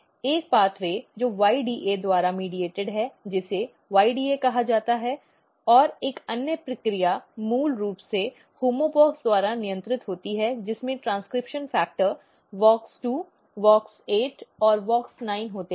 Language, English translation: Hindi, One path way which is mediated by YDA which is called YDA and another process is basically regulated by homeobox containing transcription factor WOX2, WOX8 and WOX9